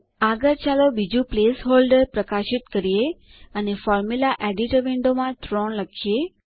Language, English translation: Gujarati, Next, let us highlight the second place holder and type 3 in the Formula editor window